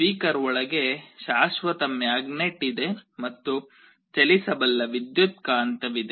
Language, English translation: Kannada, Inside a speaker there is a permanent magnet and there is a movable electromagnet